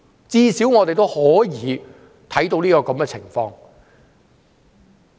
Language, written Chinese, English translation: Cantonese, 最少我們可以看到這個情況。, At least this is what we have seen